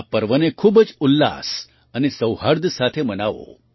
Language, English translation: Gujarati, Celebrate these festivals with great gaiety and harmony